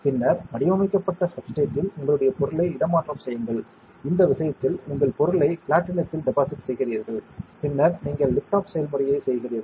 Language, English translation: Tamil, And then on the patterned substrate you transfer your; you deposit your material in this case platinum and then you do the lift off process